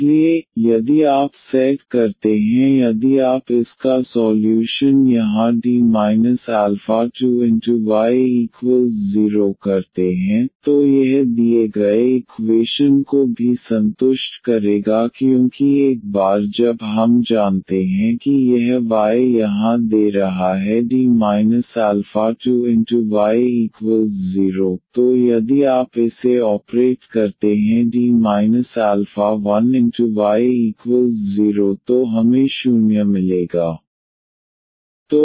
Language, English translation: Hindi, So, if you set if you find solution here of this D minus alpha 2 y is equal to 0, then this will also satisfy the given equation because once we know that this y here is giving D minus alpha 2 y is equal to 0, so if you operate this D minus alpha 1 on 0 so we will get 0